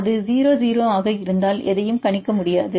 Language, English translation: Tamil, If it is 0 0 then we do not know we cannot predict anything